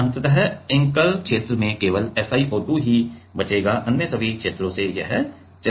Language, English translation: Hindi, Ultimately at the anchor region only SiO2 will be left all the other regions it will be gone